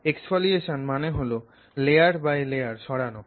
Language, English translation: Bengali, Exfoliation means removing something layer by layer